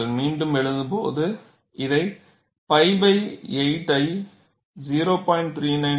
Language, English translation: Tamil, When you rewrite, you can write this as pi by 8 as 0